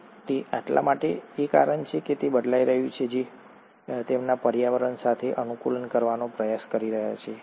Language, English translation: Gujarati, Is it because it is changing because they are trying to adapt to their environment